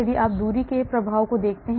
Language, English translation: Hindi, If you look at the effect of distance